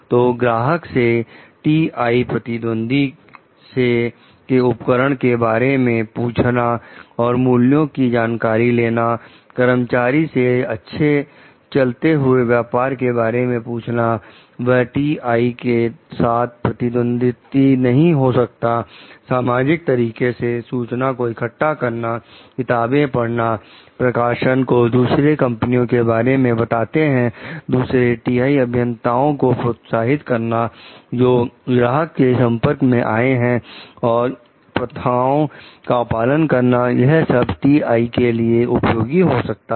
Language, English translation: Hindi, So, asking customers about the equipment and prices of TI competitors, asking employees of well run businesses that would not compete with TI about their practices, searching for information through public resources, reading books and publications describing other companies, encouraging other TI engineers who come in contact with the customers to be observant of practices that might be useful of useful to TI